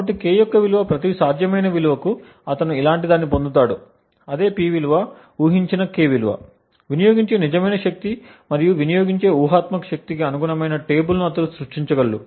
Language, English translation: Telugu, So, he would get something like this for every possible value of K he would be able to create a table like this corresponding to the same P value, a guessed K value, the real power consumed and the hypothetical power consumed